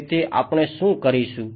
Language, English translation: Gujarati, So, what will we do